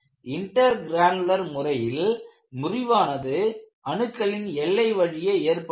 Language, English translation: Tamil, And in the case of intergranular, fracture takes place along the grain boundaries